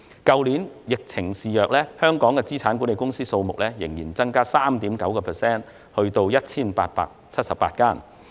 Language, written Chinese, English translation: Cantonese, 去年疫情肆虐，香港的資產管理公司數目仍增加 3.9% 至 1,878 間。, Despite the epidemic the number of asset management companies in Hong Kong increased by 3.9 % to 1 878 last year